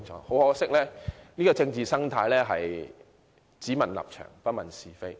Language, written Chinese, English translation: Cantonese, 很可惜，現今的政治生態是"只問立場，不問是非"。, Sadly todays political ecology is only about political stands without regard for the rights and wrongs